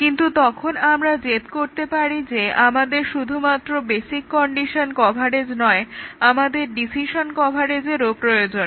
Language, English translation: Bengali, But, then we can insist that not only we need basic condition coverage, we also want decision coverage